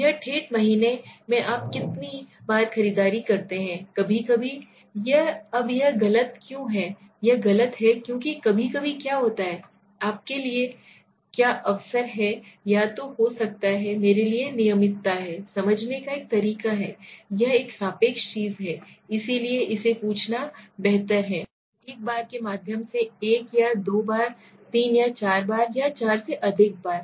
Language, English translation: Hindi, In a typical month how many, how often do you shop now never, occasionally, sometimes, now why it is incorrect it is incorrect because what is sometimes, what is occasion to you might be or regularity for me, it is a way of understanding, it is a relative thing right, so it is better to ask it through a number once, 1 or 2 times, 3 or 4 times, more than 4 times okay